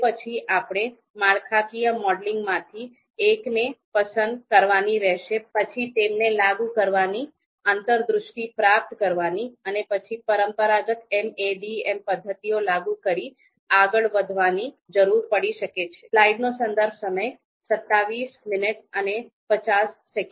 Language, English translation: Gujarati, Then probably, we need to select one of these, one of the models from you know one of the structural models, apply them, you know gain insights, and then move ahead to apply traditional MADM methods